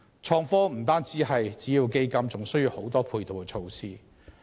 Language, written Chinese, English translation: Cantonese, 創科不但需要資金，亦需要很多配套設施。, Innovation and technology requires not only funding but also a series of ancillary facilities